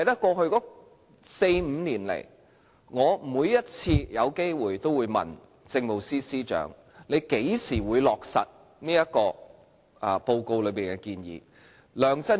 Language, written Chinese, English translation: Cantonese, 過去四五年來，我每次有機會便問政務司司長何時會落實這份報告內的建議。, In the past four to five years whenever there was an opportunity I would ask the Chief Secretary for Administration when the Government will implement the recommendations in the report